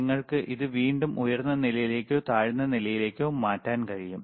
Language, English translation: Malayalam, And you can again change it to high level or low level